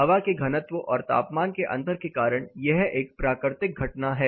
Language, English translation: Hindi, This is a natural phenomena because of density and temperature difference of the air